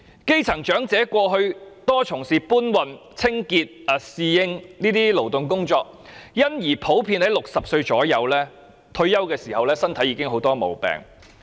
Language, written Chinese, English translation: Cantonese, 基層長者過去大多從事搬運、清潔或侍應等勞動工作，因而普遍約在60歲退休時身體已經有很多毛病。, Grass - roots elderly people mostly took up manual labour jobs such as porters cleaners or waiters in the past and because of that many of them are suffering from many physical problems upon retirement at the age of 60